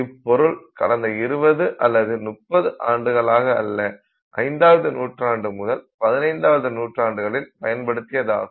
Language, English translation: Tamil, And please note this is not from 20 years or 30 years ago this is from 5th century CE to 15th century C